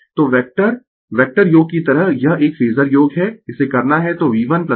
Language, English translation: Hindi, So, it is a phasor sum like vector vector sum you have to do it so V1 plus V2 plus V3 is equal to I into